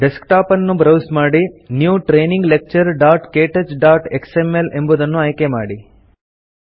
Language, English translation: Kannada, Browse to the Desktop and select New Training Lecture.ktouch.xml